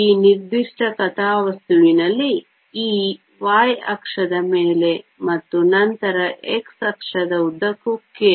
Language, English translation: Kannada, In this particular plot, E is on the y axis and then k along the x axis